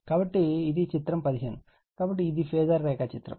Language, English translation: Telugu, So, this is figure 15, so this is my phasor diagram right